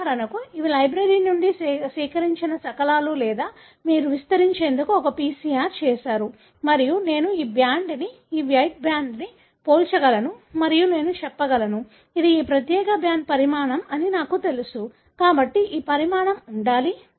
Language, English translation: Telugu, For example, these are the fragments that are either extracted from a library or you have a done a PCR to amplify and I can compare this band, this white band with this and I can say, I know this is the size of this particular band, therefore this should be the size